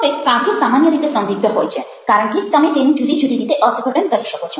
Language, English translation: Gujarati, now, poems in general are ambiguous because you can interpret it in different ways